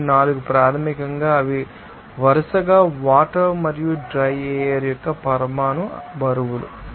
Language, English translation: Telugu, 4 basically, they are molecular weights of water and dry air, respectively